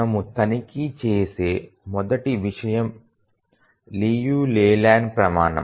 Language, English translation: Telugu, The first thing we check is the Liu Leyland criterion